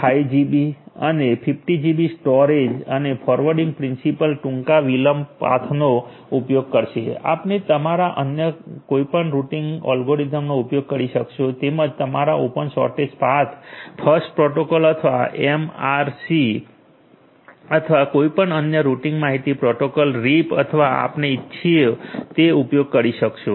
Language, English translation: Gujarati, 5 GB and 50 GB storage and the forwarding principle will be using the shortest delay path, you could use any other routing algorithm you as well like your open shortest path, first protocol or MRC or you know any other routing information protocol reap or whatever you want